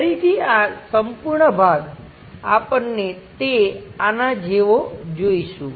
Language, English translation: Gujarati, Again this entire part we will see it like this one